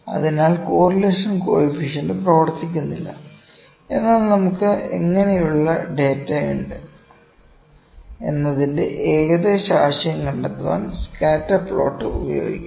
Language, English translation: Malayalam, So, correlation coefficient does not work, but yes, scatter plot can be used to find the rough idea what kind of data do we have, ok